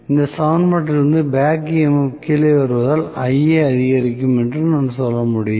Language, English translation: Tamil, Because back EMF comes down from this equation I can say Ia will increase